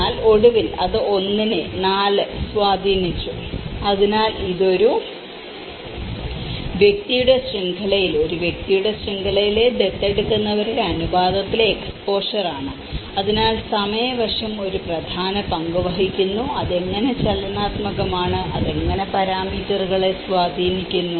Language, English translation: Malayalam, But then finally, it has influenced one , so it is the exposure in the proportion of adopters in an individual persons network at a point of time so, the time aspect plays an important role, how it is dynamic and how it is influencing parameters